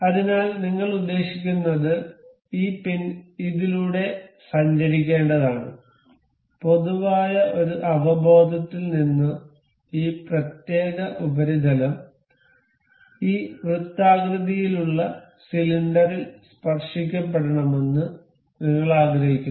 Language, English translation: Malayalam, So, what we intend is this pin is supposed to move through this lot, and from a general intuition we can we wish that this particular surface is supposed to be tangent on this circular cylinder